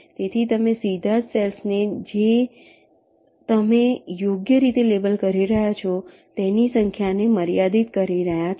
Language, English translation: Gujarati, so you are directly restricting the number of cells you are labeling right now